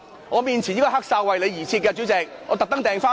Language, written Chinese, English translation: Cantonese, 我面前這個"黑哨"是為你而設的，主席，我特地訂購的。, The black whistle for a corrupt referee in front of me is for you . President it is a special order I made for you